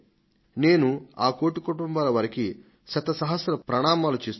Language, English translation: Telugu, I would like to salute those one crore families